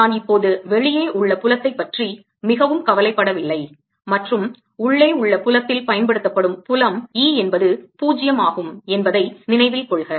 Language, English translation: Tamil, i am right now not so worried about the outside field as field inside and inside, remember, the applied field is e zero